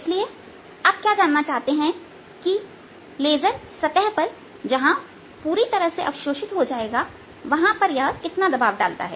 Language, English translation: Hindi, therefore, what you want to know is how much pressure does this laser apply on a surface where it is completely absorbed